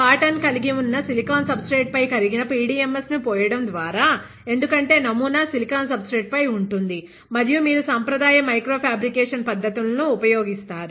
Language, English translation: Telugu, By pouring molten PDMS on to a silicon substrate that has the pattern, because the pattern is on a silicon substrate and you will use conventional micro fabrication techniques